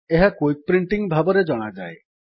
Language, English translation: Odia, This is known as Quick Printing